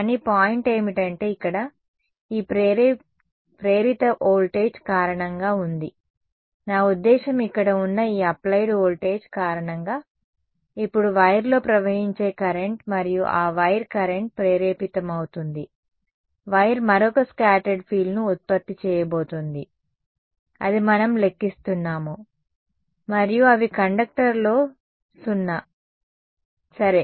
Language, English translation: Telugu, But, the point is that there is due to this induced voltage over here, I mean due to this applied voltage over here, there is now going to be a current that is going to flow in the wire right and that wire current induced in the wire is going to produce another scattered field which is what we have been calculating and together they are 0 in the conductor ok